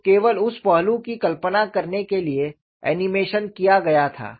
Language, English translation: Hindi, So, in order to visualize that aspect only the animation was done